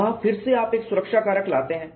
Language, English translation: Hindi, There again you bring in a safety factor